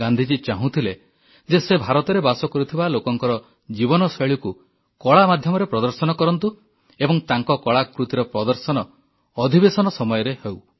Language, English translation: Odia, It was Gandhiji's wish that the lifestyle of the people of India be depicted through the medium of art and this artwork may be exhibited during the session